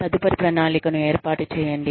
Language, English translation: Telugu, Establish a follow up plan